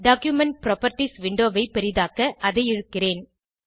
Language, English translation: Tamil, I will drag the Document Properties window to maximize it